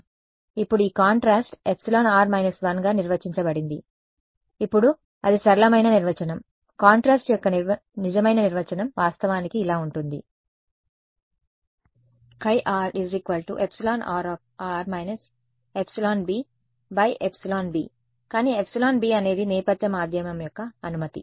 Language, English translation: Telugu, Now this contrast was defined as epsilon r minus 1 right, now that is a simplistic definition the true definition of contrast is actually like this chi r is equal to epsilon r relative minus epsilon b by epsilon b, but epsilon b is the permittivity of a background medium